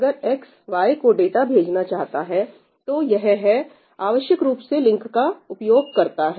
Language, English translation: Hindi, If X wants to send data to Y, then it essentially uses this link